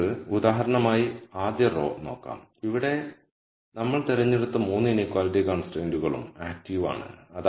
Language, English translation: Malayalam, So, let us look at the rst row for example, here the choice we have made is all the 3 inequality constraints are active